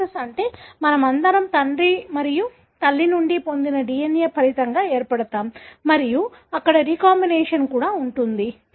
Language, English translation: Telugu, Meiosis is that, all of us are resulting from the DNA that we receive from father and mother and there is a recombination as well